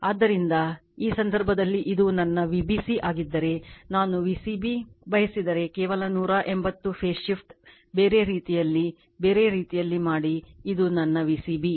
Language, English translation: Kannada, So, in this case you are this is my V b c if I want V c b just 180 degree phase shift just make other way opposite way this is my V c b right